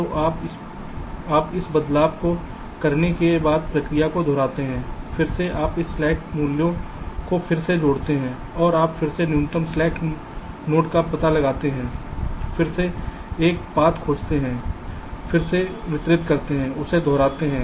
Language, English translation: Hindi, after making this change, again you recalculate this, i slack values, and you and you again find out the minimum slack node, again find out a path, again distribute